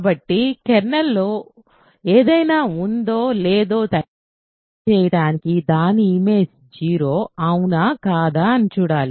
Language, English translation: Telugu, So, what is, in order to check if something is in the kernel we have to see if it is it is image is 0 or not